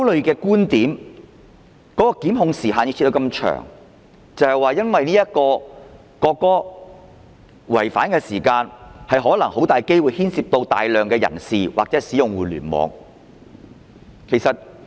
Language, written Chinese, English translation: Cantonese, 檢控時限設定得這麼長，原因是考慮到涉及國歌的違法行為很大機會牽涉大量人士或使用互聯網。, A lengthy prosecution time bar is set because of the consideration that illegal acts concerning the national anthem are likely to involve large crowds or the use of the Internet